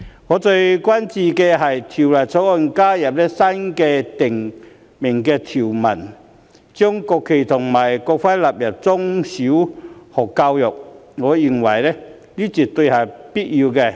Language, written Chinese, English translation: Cantonese, 我最關注的是，《條例草案》加入新訂條文，將國旗及國徽納入中小學教育，我認為這絕對是有必要的。, What I am most concerned about is the provision newly added to the Bill which stipulates the inclusion of the national flag and national emblem in primary education and in secondary education . I think it is absolutely necessary